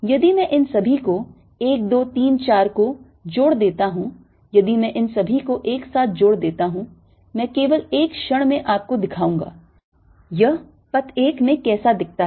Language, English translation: Hindi, if i add all this together, one, two, three, four, if i add all this together, for a moment i'll just show you what it look like